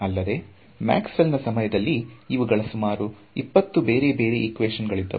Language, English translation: Kannada, Again at the time of Maxwell’s these were 20 separate equations